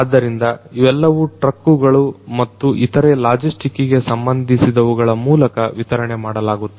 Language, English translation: Kannada, So, these are going to be delivered through trucks and other logistic means etc